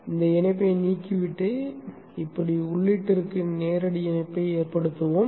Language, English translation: Tamil, We will remove that connection and we will make a direct connection to the input like this